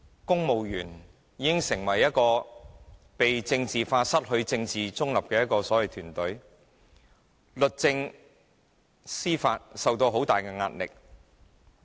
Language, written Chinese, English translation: Cantonese, 公務員已經被政治化、失去政治中立的團隊，律政、司法受到很大的壓力。, Civil servants are politicized their political neutrality is lost; law and justice are under great pressure